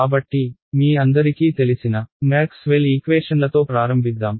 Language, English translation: Telugu, So, let us get started with Maxwell’s equations which all of you know